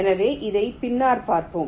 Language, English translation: Tamil, so we shall see this later